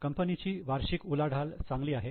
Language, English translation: Marathi, It has the annual turnover